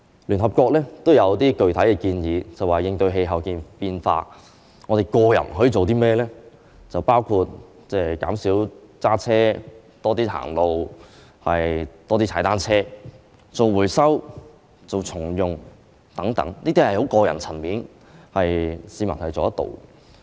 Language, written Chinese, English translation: Cantonese, 聯合國也提出了一些具體建議，就是有關應對氣候變化，我們每個人可以做的事，包括減少駕車、多走路、多踏單車、多做回收、重用物件等，這些都屬於個人層面的行動，是市民能夠做到的。, The United Nations has made some specific suggestions about what each one of us can do to combat climate change such as minimizing driving walking more biking more recycling more reusing things etc . All these are actions at a personal level that members of the public can do